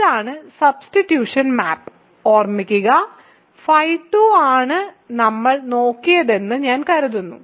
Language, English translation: Malayalam, So, this is the substitution map, substitution remember phi 2 is what I think we looked at